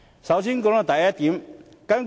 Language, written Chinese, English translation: Cantonese, 讓我先談談第一點。, Let me first discuss the first point